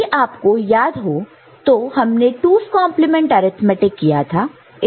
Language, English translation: Hindi, Now, if we remember how we conducted 2’s complement arithmetic